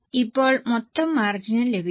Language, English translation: Malayalam, Now also get the total margin